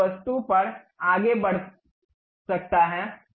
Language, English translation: Hindi, So, this one can move on this object